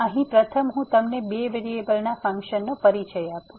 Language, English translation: Gujarati, So, here first let me introduce you the Functions of Two Variables